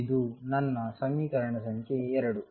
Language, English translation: Kannada, This is my equation number 2